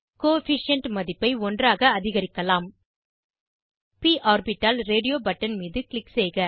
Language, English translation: Tamil, Increase the Coefficient value to one Click on p orbital radio button